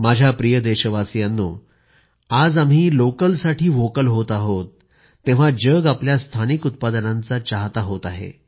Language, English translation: Marathi, Today when we are going vocal for local, the whole world are also becoming a fan of our local products